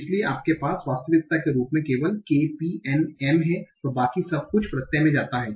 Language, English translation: Hindi, So you have only k, p and m as the actual stem and everything else goes into the suffix